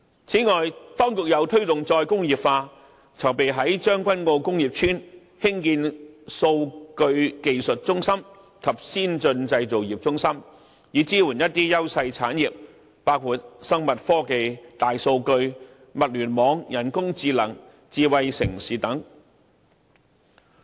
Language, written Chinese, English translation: Cantonese, 此外，當局又推動再工業化，籌備於將軍澳工業邨興建數據技術中心及先進製造業中心，以支援優勢產業，包括生物科技、大數據、物聯網、人工智能、智慧城市等。, In addition in order to promote re - industrialization the Government is preparing to build a Data Technology Hub and an Advanced Manufacturing Centre in the Tseung Kwan O Industrial Estate and industries enjoying advantages in the process include biotechnology big data the Internet of Things artificial intelligence and smart city